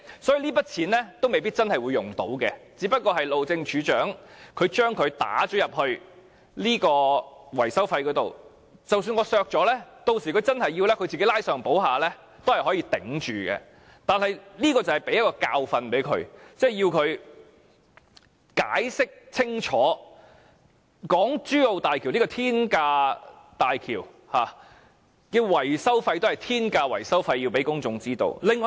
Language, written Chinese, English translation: Cantonese, 所以，這筆預算未必會用得着，路政署署長只是把這筆費用放進維修費用當中，即使我削減了這筆費用，日後當他需要時，只須拉上補下也是可以支撐住的，而這便可以給他一個教訓，令他知道要向公眾清楚解釋港珠澳大橋這座天價大橋及其天價維修費為何。, Therefore this amount of estimated expenditure may not be utilized and the Director of Highways just wanted to tuck this expenditure into the maintenance cost so even if I cut this expenditure he can still manage in case of need simply by reallocating funds from one corner to another . But this can teach him a lesson and make him realize that he must explain clearly to the public the astronomical cost of the HZMB as well as its astronomical maintenance cost